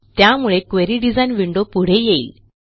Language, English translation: Marathi, This brings the Query design window to the foreground